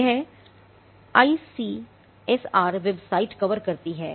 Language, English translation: Hindi, Now, this is what the ICSR website covers